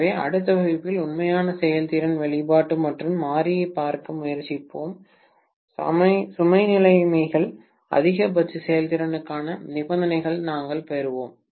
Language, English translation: Tamil, So, in the next class we will try to look at the actual efficiency expression and the variable load conditions, we will derive the conditions for maximum efficiency